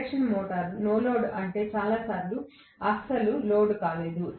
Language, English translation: Telugu, Most of the times if the induction motor is on no load; it is not loaded at all